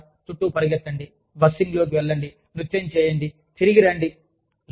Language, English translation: Telugu, And, you know, run around, go in a bussing, dance, come back